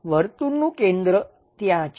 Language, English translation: Gujarati, The center of that circle goes there